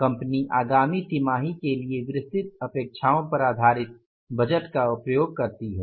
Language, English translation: Hindi, The company uses a budget based on the detailed expectations for the fourth coming quarter